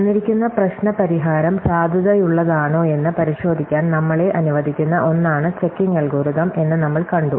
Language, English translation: Malayalam, So, we have seen that a checking algorithm is something which allows us to verify whether or not a given problemÕs solution is valid